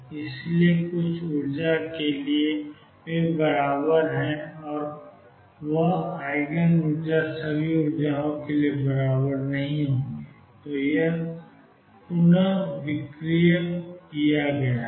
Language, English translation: Hindi, So, for some energy they are equal and that is Eigen energy they will not be equal for all energies after all this rescaling has been done